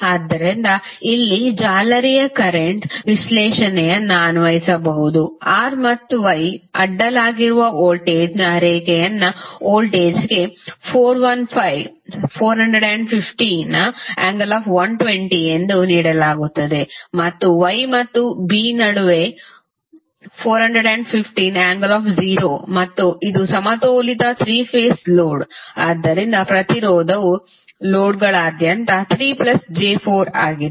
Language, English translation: Kannada, So, here also we can apply the mesh current analysis, the voltage a line to line voltage that is voltage across these two terminals is given as 415 angle 120 degree and between these two nodes is 415 angle 0 degree and this is balanced 3 phase load, so the impedance is across the loads is 3 plus 4j ohm